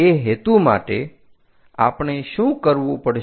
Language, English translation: Gujarati, For that purpose, what we have to do